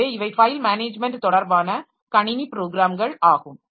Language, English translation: Tamil, So, these are the file management related system programs